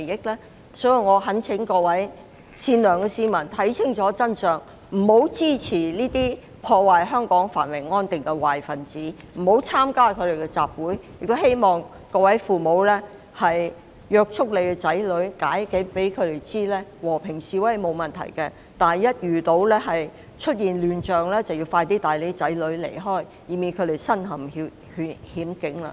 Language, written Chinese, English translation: Cantonese, 因此，我懇請各位善良的市民看清楚真相，不要支持這些破壞香港繁榮安定的壞分子，亦不要參加他們的集會，亦希望各位父母管束子女，向他們解釋和平示威並無問題，但一旦出現亂象，便要盡快離開，以免他們身陷險境。, Hence I implore all members of the kindhearted public to see the truth clearly and refrain from supporting those bad elements who are out to destroy the prosperity and stability of Hong Kong or taking part in their rallies . And I hope parents will discipline their children and explain to them that while it is alright to participate in peaceful demonstrations they should leave as soon as chaos breaks out lest they put themselves in danger